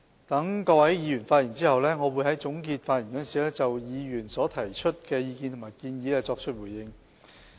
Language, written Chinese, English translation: Cantonese, 待各位議員發言後，我會在總結發言時就議員提出的意見和建議作出回應。, After Members have delivered their speeches I will respond in my concluding speech to the views put forward by Members as well as their suggestions